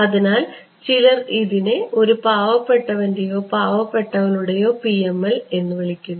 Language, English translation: Malayalam, So, this is I mean some people call this a poor man’s or poor women’s PML ok